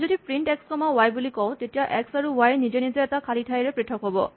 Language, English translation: Assamese, We said that, if we say print x comma y, then x and y will be separated by a space by default, right